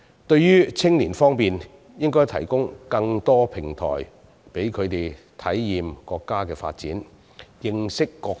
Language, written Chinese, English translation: Cantonese, 在青年方面，我們應提供更多平台，讓他們體驗國家的發展，認識國情。, With regard to young people we should provide them with more platforms to experience the development and gain an understanding of the country